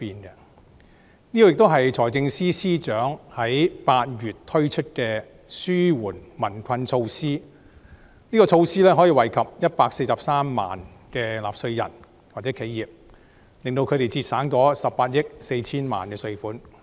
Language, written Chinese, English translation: Cantonese, 這亦是財政司司長8月時推出的紓緩民困措施，可惠及143萬名納稅人或企業，令他們可節省18億 4,000 萬元稅款。, This is also a measure proposed by the Financial Secretary in August to relieve the hardships of the people which will benefit 1.43 million taxpayers or tax - paying corporations and help them save 1.84 billion of taxes